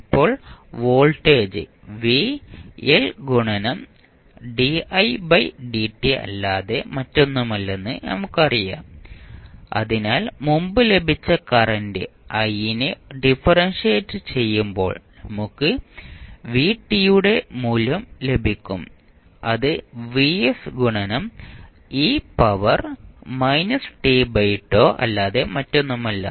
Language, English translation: Malayalam, Now, you know that voltage v is nothing but l di by dt so when you differentiate the current I which we got previously when we differentiate we get the value of vt which is nothing but vs into e to the power minus t by tau ut